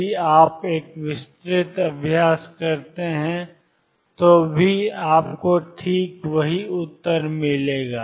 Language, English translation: Hindi, Even if you do an elaborate exercise you will get exactly the same answer